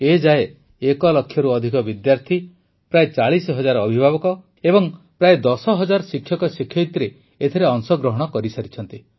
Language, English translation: Odia, So far, more than one lakh students, about 40 thousand parents, and about 10 thousand teachers have participated